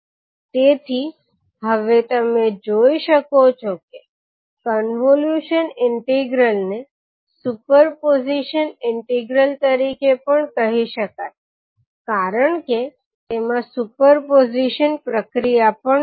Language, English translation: Gujarati, So you can now see that the convolution integral can also be called as the super position integral because it contains the super position procedure also